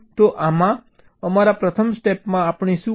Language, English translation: Gujarati, so in our first step what we do